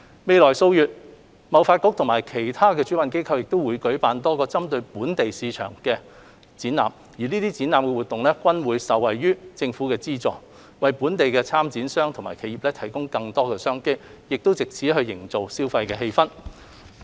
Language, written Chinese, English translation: Cantonese, 未來數月，貿發局和其他主辦機構會舉辦多個針對本地市場的展覽，這些展覽活動均會受惠於政府的資助，為本地參展商及企業提供更多商機，藉此營造消費氣氛。, In the coming months HKTDC and other organizers will host a range of exhibitions targeting the local market . These exhibitions will benefit from the government subsidy bringing more business opportunities to local exhibitors and enterprises and creating an atmosphere for consumption